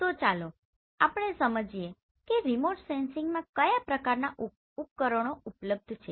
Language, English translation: Gujarati, So let us understand what are the different types of devices available in remote sensing